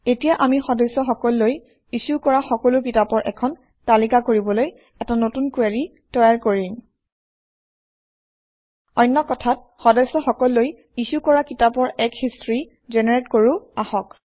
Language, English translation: Assamese, Now we will create a new query, to list all the books that have been issued to the members, In other words, let us generate a history of books that have been issued to the members